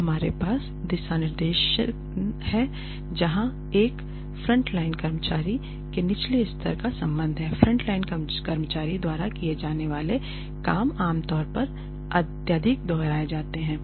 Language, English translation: Hindi, Then we have guidelines the as far as lower level of frontline employees are concerned the jobs that are done by frontline employees are usually highly repetitive